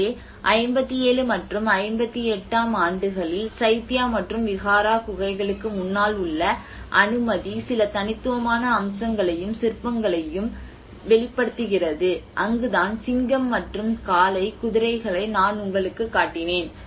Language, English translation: Tamil, So, in 57 and 58, clearance in front of the Chaitya and Vihara caves reveal some unique features and sculptures that is where I showed you the lion and bull, the horses